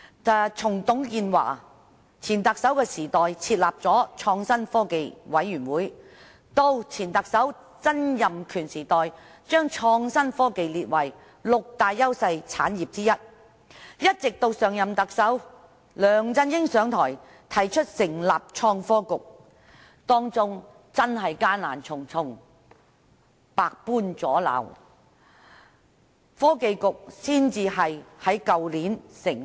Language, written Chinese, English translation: Cantonese, 首任特首董建華設立了創新科技委員會；前特首曾蔭權將創新科技列為六大優勢產業之一；上任特首梁振英上台後，提出成立創新及科技局，其間真的困難重重，遇到百般阻撓，直至去年，創新及科技局才能成立。, The first Chief Executive TUNG Chee - hwa set up the Commission of Innovation and Technology . Former Chief Executive Donald TSANG identified innovation and technology as one of the six priority industries in which Hong Kong enjoyed clear advantages . The last Chief Executive LEUNG Chun - ying proposed upon his assumption of office the establishment of the Innovation and Technology Bureau during which course there were indeed numerous difficulties and all kinds of obstruction